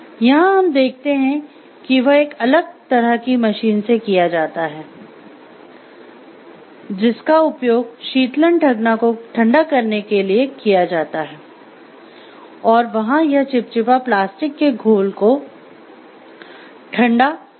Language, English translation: Hindi, Here what we see is, it is done to a different kind of machine which is used for cooling fudge and here it is for cooling viscous plastic slurry